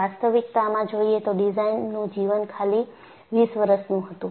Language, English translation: Gujarati, The actual design life was 20 years